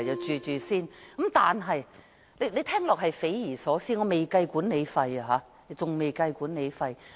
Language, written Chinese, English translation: Cantonese, 這租金水平聽起來很匪夷所思，當中仍未計算管理費。, This level of rent which has not even included the management fee sounds very unthinkable